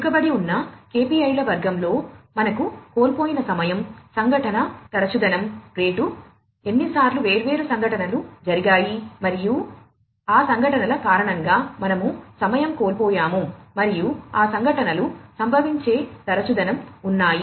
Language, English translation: Telugu, Under the lagging KPIs category, we have number of lost time incident frequency rate, how many times the different incidents have occurred, and we have lost time due to those incidents, and the frequency of occurrence of those incidents